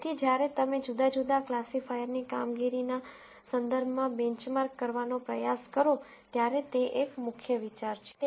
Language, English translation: Gujarati, So, that is a key idea, when you try to benchmark different classifiers in terms of their performance